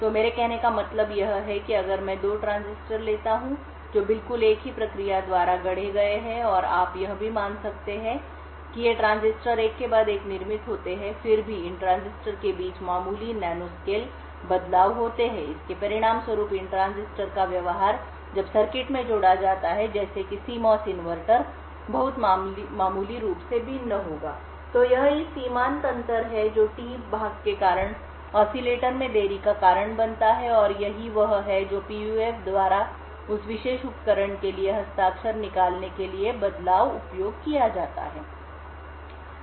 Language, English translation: Hindi, So, what I mean by this is that if I take 2 transistors which have been fabricated by exactly the same process and you could also, assume that these transistors are manufactured one after the other, still there are minor nanoscale variations between these transistors and as a result of this the behavior of these transistors when added to circuit such as CMOS inverter would vary very marginally, So, it is this marginal difference that causes delay in the oscillator due to the T part and this is what is used by PUFs to extract the signature for that particular device